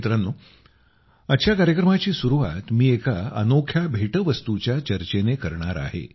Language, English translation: Marathi, Friends, I want to start today's program referring to a unique gift